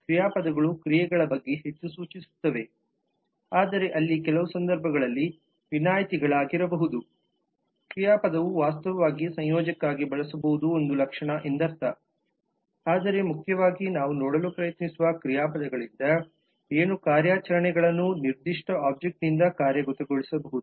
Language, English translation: Kannada, verb would be more indicative of actions, but there would be exceptions in some cases verb may actually stand for a connective may actually (()) (00:04:38) property and so on, but primarily from the verb which we will try to see is what operations can be executed by a certain object